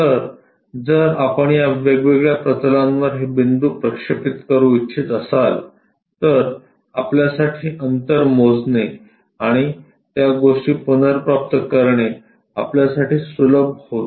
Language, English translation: Marathi, So, if we are projecting these points onto these different planes, it becomes easy for us to measure the distances and reproduce those things